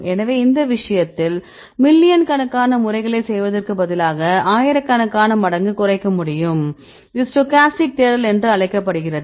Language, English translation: Tamil, So, in this case instead of doing millions of times you can reduce it thousands of times right this is called the stochastic search